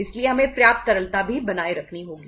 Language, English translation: Hindi, So we will have to maintain the sufficient liquidity also